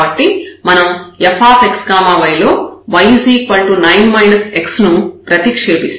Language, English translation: Telugu, So, we will substitute y is equal to 9 minus x into f x y